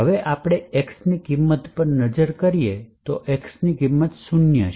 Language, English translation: Gujarati, Now we could actually look at the value of x and rightly enough the value of x will be zero